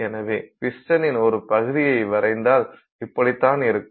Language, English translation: Tamil, So, the surface of the piston would then also be like that